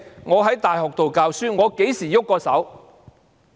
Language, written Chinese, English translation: Cantonese, 我在大學教書，我何時曾動過手？, I teach at a university . When did I ever resort to force?